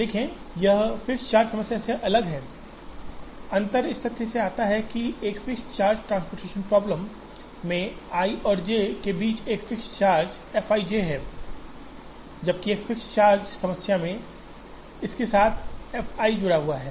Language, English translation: Hindi, See, it is different from the fixed charge problem, the difference comes from the fact that, in a fixed charge transportation problem, there is a charge fixed charge f i j between i and j, whereas in a fixed charge problem, there is an f i associated with this i